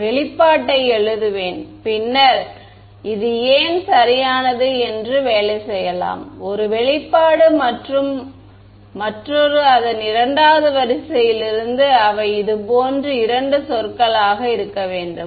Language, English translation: Tamil, So, I generalize these two I will just write the expression and then we can work it out later why this is correct one expression and another since its 2nd order they will have to be two terms like this